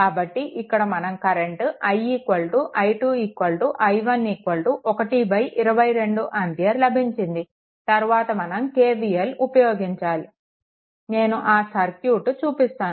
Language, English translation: Telugu, So, once you get i is equal to i 2 is equal to i 1 is equal to this is your 1 by 22 ampere, after that you apply KVL in that thing right, just let me go to that circuit